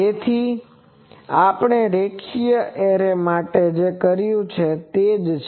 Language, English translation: Gujarati, So, the same that we have done for linear array